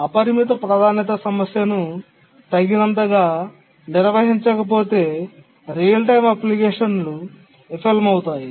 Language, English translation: Telugu, Unless the unbounded priority problem is handled adequately, a real time application can fail